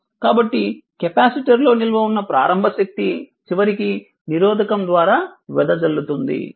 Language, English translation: Telugu, So, initial energy stored in the capacitor eventually dissipated in the resistor